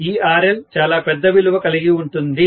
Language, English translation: Telugu, This RL is going to be a very very large value